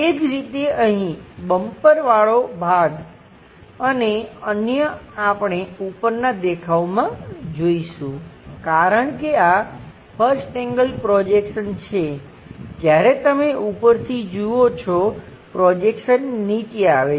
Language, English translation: Gujarati, Similarly, the bumper portion and other stuff here we will see from the top view, because this is 1st angle projection when you are looking from top the projection comes at the bottom level